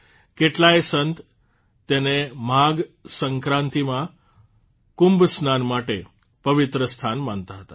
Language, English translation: Gujarati, Many saints consider it a holy place for Kumbh Snan on Magh Sankranti